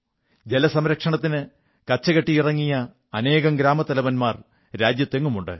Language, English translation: Malayalam, There are several Sarpanchs across the country who have taken the lead in water conservation